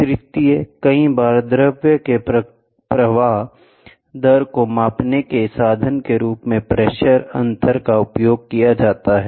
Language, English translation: Hindi, Many a times, pressure difference is used as a means of measuring a flow rate of a fluid